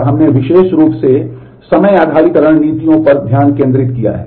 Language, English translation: Hindi, And we have specifically focused on time based strategies